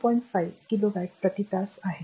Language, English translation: Marathi, 5 kilowatt hour right